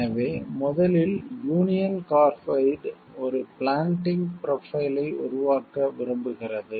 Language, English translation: Tamil, So, first we see union carbide would like to build a planting profile